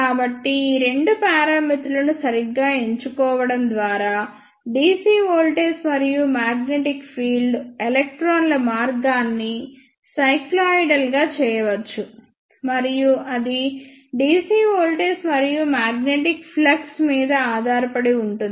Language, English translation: Telugu, So, by properly selecting these two parameters dc voltage and the magnetic field, the electrons path can be made cycloidal, and that depends on the dc voltage and the magnetic flux